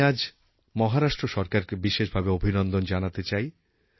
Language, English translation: Bengali, Today I especially want to congratulate the Maharashtra government